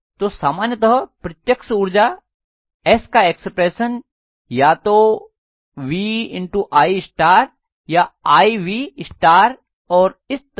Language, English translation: Hindi, So normally we write the apparent power expression S as either VI conjugate, IV conjugate and so on